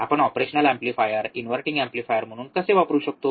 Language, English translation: Marathi, How can we use an operational amplifier as an inverting amplifier